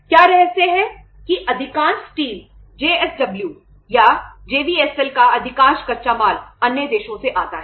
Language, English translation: Hindi, What is the secret that most of the steel, most of the raw material of the JSW or JVSL comes from other countries